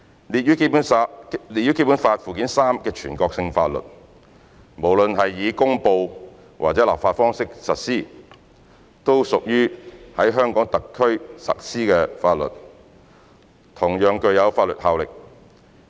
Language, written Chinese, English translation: Cantonese, 列於《基本法》附件三的全國性法律，無論是以公布或立法方式實施，都屬於在香港特區實施的法律，同樣具有法律效力。, The national laws listed in Annex III to the Basic Law regardless of being applied by way of promulgation or legislation are laws applied in Hong Kong and have legal effect